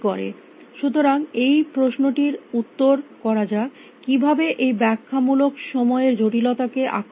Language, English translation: Bengali, So, let us answering this question, how do you attack this exponential time complexity